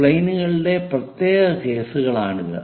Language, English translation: Malayalam, These are the special cases of the planes